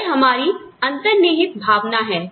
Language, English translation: Hindi, That is our inherent feeling